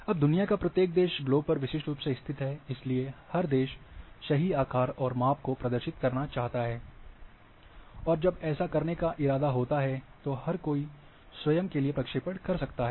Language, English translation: Hindi, Now each country is located uniquely on the globe, and therefore, everyone would like to represent it is true shape and size, and when it is intended, then everyone will go for their own projection